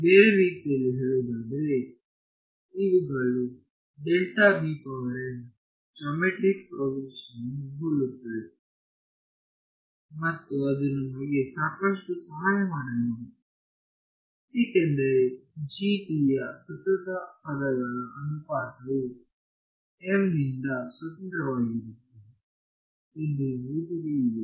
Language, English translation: Kannada, So, in other words these delta beta m’s resemble a geometric progression and that is a thing that is going to help us a lot because, we know that the ratio of consecutive terms of a GP is constant right independent of m